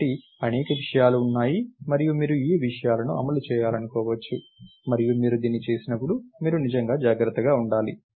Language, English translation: Telugu, So, there are several things and you may want to implement these things and when you do this, you have to be really, really careful